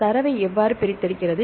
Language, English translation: Tamil, And how the extract the data